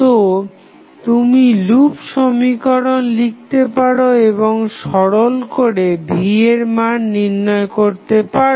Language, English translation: Bengali, So, what you can do, you can just simply write the loop equation and simplify to get the value of Vth